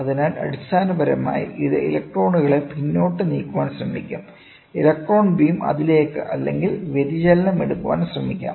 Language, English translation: Malayalam, So, basically this will try to push back the electrons electron beam to that is or it can try to take the deviation